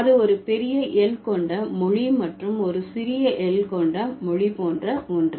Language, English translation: Tamil, So, it's something like language with a big L and language with a small L